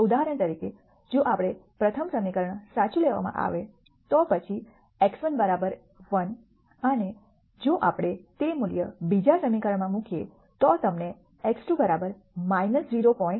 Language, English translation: Gujarati, For example, if we were to take the first equation is true then x 1 equal to 1 and if we substitute that value into the second equation you will get 2 equal to minus 0